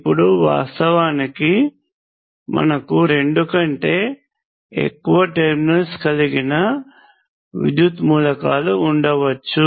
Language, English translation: Telugu, Now, of course, we can have electrical elements with more than two terminals